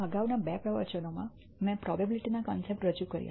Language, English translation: Gujarati, In the preceding two lectures, I introduced the concepts of probability